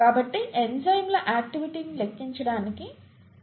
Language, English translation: Telugu, So, this is what we use to quantify the activity of enzymes